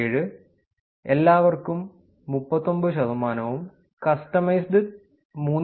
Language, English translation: Malayalam, 7, everyone is 39 percent and customized is 3